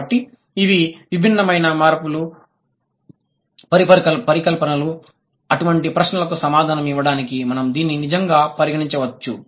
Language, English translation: Telugu, So, these are different hypothesis that we can actually consider to answer such kind of questions